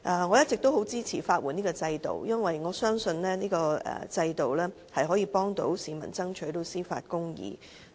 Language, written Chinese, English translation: Cantonese, 我一直很支持法律援助制度，因為我相信這個制度可以幫助市民爭取司法公義。, I have all along supported the legal aid system as I believe the system can help members of the public fight for judicial justice